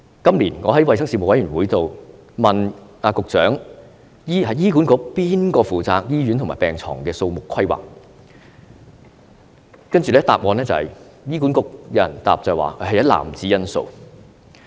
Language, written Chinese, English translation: Cantonese, 今年，我在衞生事務委員會上問局長，醫管局誰人負責醫院和病床的數目規劃，接着醫管局有人答覆，說要考慮一籃子因素。, This year I asked the Secretary at a meeting of the Panel on Health Services Who in HA is responsible for the planning of the number of hospitals and beds? . The representative for HA then answered that a series of factors needed to be considered